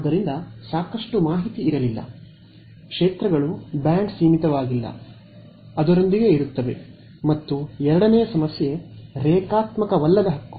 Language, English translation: Kannada, So, that was not enough info, it is just not there the fields are band limited, live with it and the second problem was non linearity right